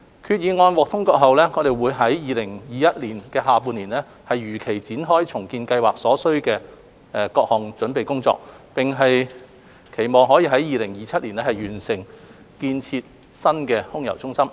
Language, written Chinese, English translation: Cantonese, 決議案獲通過後，我們會於2021年下半年如期展開重建計劃所需的各項準備工作，期望可於2027年完成建設新空郵中心。, Upon passage of the resolution we will commence all the necessary work as planned for the redevelopment project in the latter half of 2021 with a view to completing the new AMC in 2027